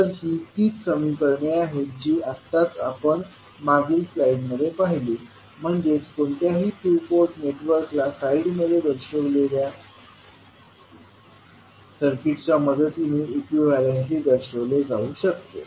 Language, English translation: Marathi, So, these are the same equations which we just saw in the previous slide, so that means that any two port network can be equivalently represented with the help of the circuit shown in the slide